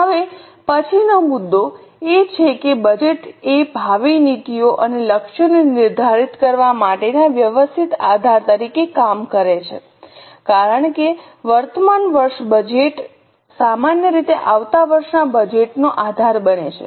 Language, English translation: Gujarati, The next point is budget acts as a systematic base for framing future policies and targets because current year budget usually becomes base for next year budget